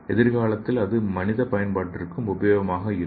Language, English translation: Tamil, So in future it could be useful for human application also